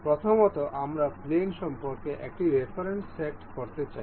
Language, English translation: Bengali, First one is we want to we have to set a reference about the plane